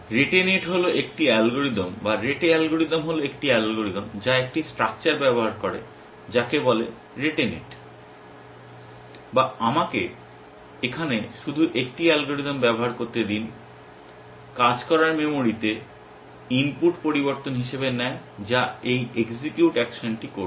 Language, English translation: Bengali, The rete net is an algorithm or the rete algorithm is a algorithm which uses a structure call the rate net or let me just a use algorithm here, takes as input changes in working memory which is what this execute action is doing